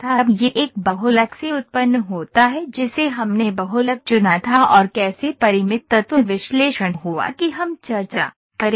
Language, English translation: Hindi, Now it is produced from a polymer which polymer we selected and how the Finite Element Analysis happened there that we will discuss